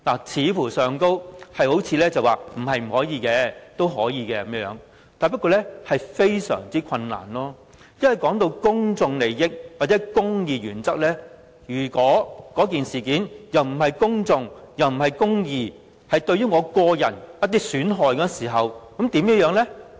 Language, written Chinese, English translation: Cantonese, 在條文看來，像是說不是不可以，但非常困難，因為談到公眾利益或公義原則，如果這件事情既不屬公眾，又不是公義，只是對個人的一些損害時，那怎麼樣呢？, With regard to the texts of the provisions it seems to imply that exercising such discretion is not impossible but very difficult as this involves public interest or the principle of justice . What if the incident involved is not about the public nor about justice? . What if it is only about the harm done to an individual?